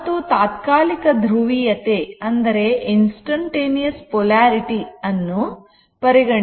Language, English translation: Kannada, And it is instantaneous polarity